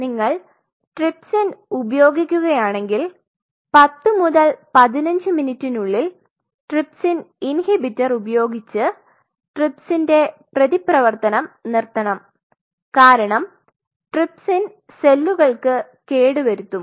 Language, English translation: Malayalam, And if you use trypsin then you have to stop this trypsin reaction within after 10 to 15 minutes using something called trypsin inhibitor because trypsin is going to damage the cell